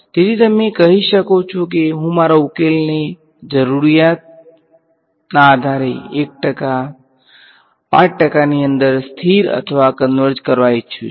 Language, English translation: Gujarati, So, you can say I want my solution to stabilize or converge within say 1 percent, 5 percent whatever depending on your requirement